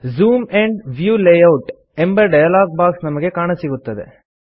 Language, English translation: Kannada, You see that a Zoom and View Layout dialog box appears in front of us